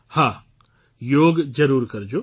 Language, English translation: Gujarati, Certainly do yoga